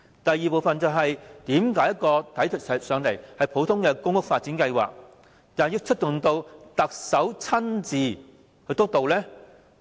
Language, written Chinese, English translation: Cantonese, 第二，為何一個普通公屋發展計劃，要由特首親自督導？, Second why would an ordinary public housing development project be personally steered by the Chief Executive?